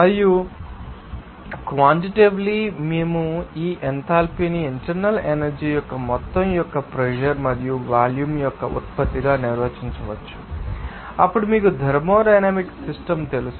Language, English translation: Telugu, And quantitatively, we can define this enthalpy as the sum of the internal energy and the product of the pressure and volume of then you know thermodynamic system